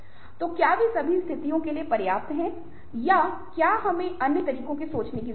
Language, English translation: Hindi, so are they good enough for all situations or do we need to think in other ways